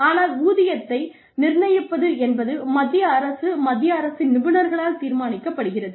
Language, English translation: Tamil, But the pay brackets, are decided by the central government, by experts in the central government